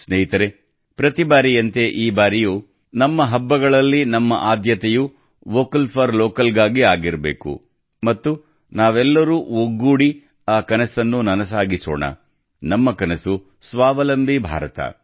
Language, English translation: Kannada, Friends, like every time, this time too, in our festivals, our priority should be 'Vocal for Local' and let us together fulfill that dream; our dream is 'Aatmnirbhar Bharat'